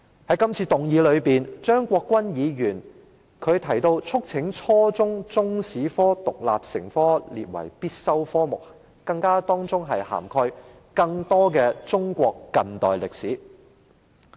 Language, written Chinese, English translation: Cantonese, 在這次議案辯論中，張國鈞議員提到，促請當局規定初中中國歷史科獨立成科及將之列為必修科目，包括要"涵蓋更多中國近代歷史"。, In this motion debate Mr CHEUNG Kwok - kwan urges the Government to require the teaching of Chinese history as an independent subject at junior secondary level and make the subject compulsory and to give more coverage to contemporary Chinese history